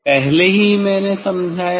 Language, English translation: Hindi, Already I have explained